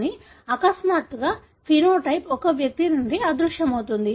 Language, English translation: Telugu, But, all of a sudden the phenotype may vanish from an individual